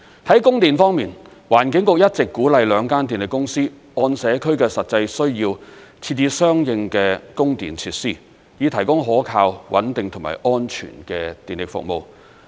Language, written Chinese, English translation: Cantonese, 在供電方面，環境局一直鼓勵兩間電力公司按社區的實際需要，設置相應的供電設施，以提供可靠、穩定和安全的電力服務。, On electricity supply the Environment Bureau encourages the two power companies to provide electricity supply facilities based on the actual needs in the communities with a view to providing reliable stable and safe electricity services